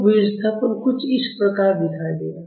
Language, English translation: Hindi, So, the displacement will look something like this